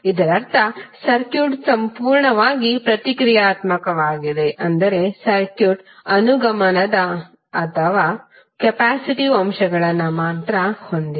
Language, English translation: Kannada, It means that the circuit is purely reactive that means that the circuit is having only inductive or capacitive elements